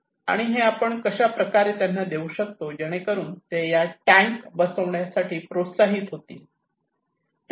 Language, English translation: Marathi, And how we should provide to them, so that they would be motivated, encourage to install these tanks